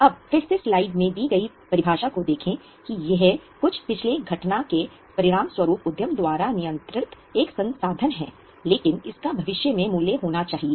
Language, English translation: Hindi, Now again the definition is given that it is a resource controlled by the enterprise as a result of some past event but it should have a future value